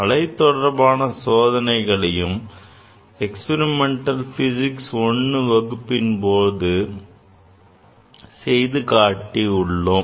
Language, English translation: Tamil, So, let us see the wave experiments; on wave also we have demonstrated experiments in Experimental Physics I